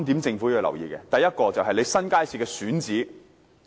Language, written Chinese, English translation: Cantonese, 政府要留意3點，第一，是新街市的選址。, The Government must pay attention to three points . First it is the selection of locations for new public markets